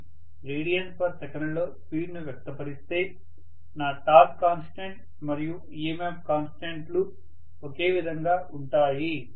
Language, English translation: Telugu, If I express the speed in radians per second, my torque constant as well as EMF constant are the one and the same,ok